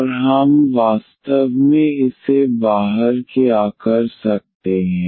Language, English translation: Hindi, And what else we can actually get out of this